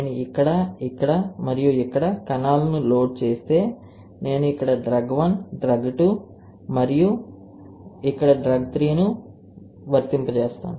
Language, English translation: Telugu, And if I load cells here, here, and here, then I apply I flow drug 1 here, drug 2 here and drug 3 here